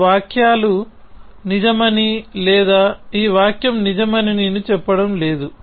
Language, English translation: Telugu, I am not claiming that this sentences is true or this sentence is true